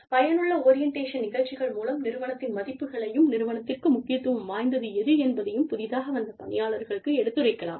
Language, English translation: Tamil, Effective orientation programs, communicate to the new employees, the values, important to the organization